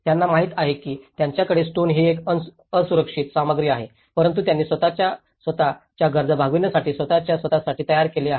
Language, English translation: Marathi, They know that they have, a stone is an unsafe material but they have built with their own for their own needs, for their own